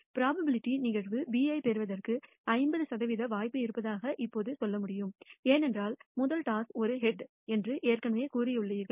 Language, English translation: Tamil, I can tell now there is a 50 percent chance of getting probability event B, because you have already told me that the first toss is a head